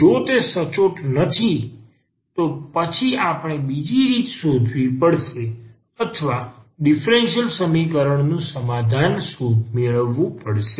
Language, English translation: Gujarati, And if it is not exact then we have to find some other way or to get the solution of the differential equation